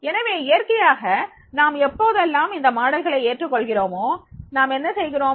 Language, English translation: Tamil, So, naturally whenever we are adopting those models, what we do